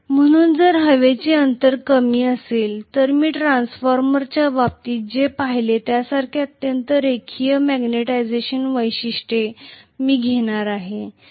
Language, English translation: Marathi, So if the air gap is smaller I am going to have highly non linear magnetization characteristics like what we saw in the case of transformer